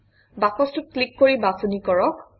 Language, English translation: Assamese, Click on the box and select it